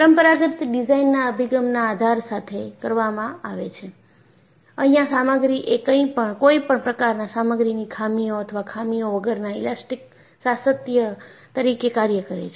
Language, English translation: Gujarati, The conventional design approaches are done with the premise that, the material is an elastic continuum, without any material defects or flaws